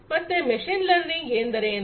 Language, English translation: Kannada, So, what is machine learning